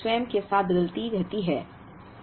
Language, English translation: Hindi, That has demand that varies with time